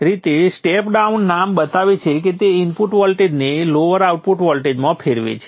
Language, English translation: Gujarati, So basically a step down as the name indicates converts the input voltage into a lower output voltage